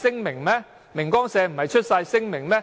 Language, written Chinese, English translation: Cantonese, 明光社不是發出了聲明嗎？, Did the Society for Truth and Light not issue a statement?